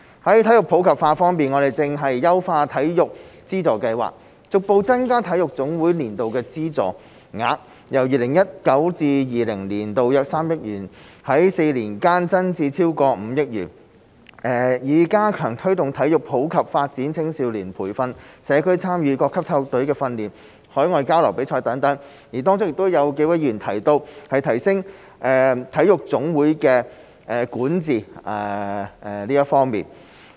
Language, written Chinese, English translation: Cantonese, 在體育普及化方面，我們正在優化體育資助計劃，逐步增加體育總會的年度資助額，由 2019-2020 年度約3億元，在4年間增至超過5億元，以加強推動體育普及發展、青少年培訓、社區參與、各級體育隊的訓練和海外交流與比賽，當中亦有幾位議員提及，提升體育總會的管治方面。, As for promoting sports in the community we are now enhancing the Sports Subvention Scheme to gradually increase the amount of annual subvention for NSAs from about 300 million in 2019 - 2020 to over 500 million in four years time so as to enhance promotion of sports for all youth training community participation training of sports teams of different levels and opportunities for joining overseas exchanges and events . Some Members also talked about improving corporate governance of NSAs